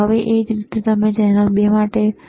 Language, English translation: Gujarati, Now, similarly for channel 2, all right,